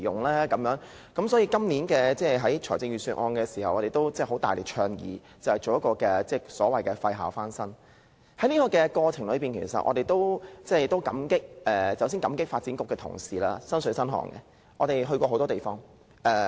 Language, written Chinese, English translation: Cantonese, 所以，我們在今年的財政預算案大力倡議推行"廢校翻新"，在這個過程中，我們要感謝發展局的同事，他們做到"身水身汗"，與我們到過很多地方。, Thus we strongly advised the Government to set aside funds for renovating vacant school premises in the Budget this year . We are obliged to the officers of the Development Bureau . They have worked very hard and joined us in our numerous site visits